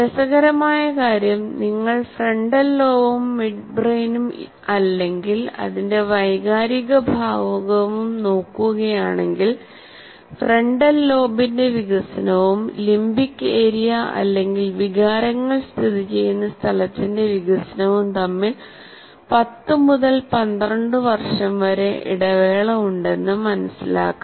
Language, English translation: Malayalam, The interesting thing about this is the if you look at the frontal lobe and also the midbrain or the emotional part of it, if you talk about that, there is a 10 to 12 year gap between the developmental frontal lobe and that of the limbic area or where the emotions are situated